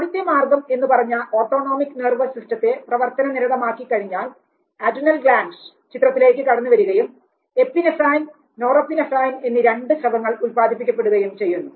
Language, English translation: Malayalam, So, the first channel that we were talking about once the autonomic nervous system is put in to action adrenal gland comes in to picture and then you have the secretion of epinephrine, norepinephrine